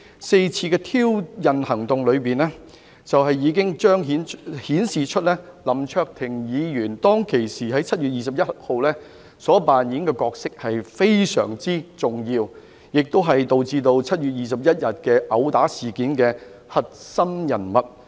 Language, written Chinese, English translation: Cantonese, 四次的挑釁行動裏，已經顯示出林卓廷議員在7月21日當時所扮演的角色非常重要，他亦是導致7月21日毆打事件的核心人物。, The four rounds of provocation have already illustrated the importance of the role played by Mr LAM Cheuk - ting at that juncture on 21 July he was also the central figure who contributed to the occurrence of the 21 July assault incident